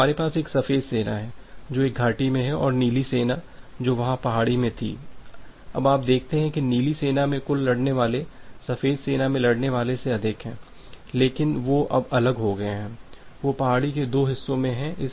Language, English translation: Hindi, So, we have a white army which is there in a valley and the blue army which was there in the hill now you see that the total total fighters in the blue army it is more than the white army, but they are separated now, they are in the two part of the hill